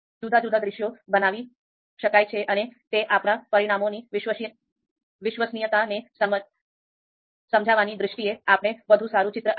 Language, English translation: Gujarati, So different scenarios can be created and that gives us a that creates us a better picture in terms of understanding the reliability of our results